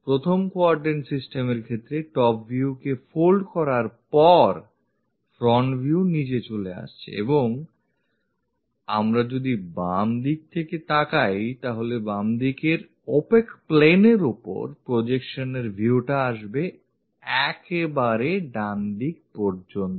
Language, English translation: Bengali, In case of 1st quadrant system, the front view after folding it from top view comes at bottom and if we are looking from left hand side, the view comes on to the projection onto this opaque plane of left hand side uh to the right side